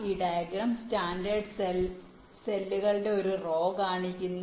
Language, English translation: Malayalam, this diagram shows one row of this standard cell cells